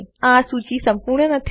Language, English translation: Gujarati, This list isnt exhaustive